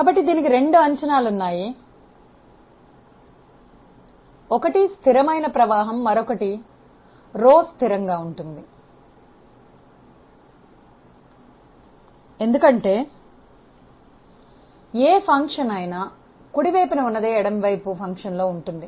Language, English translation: Telugu, So, it has two assumptions; one is the steady flow another is rho is a constant because, you have cancelled or maybe whatever function of low is there in the left hand side same function is there in the right hand side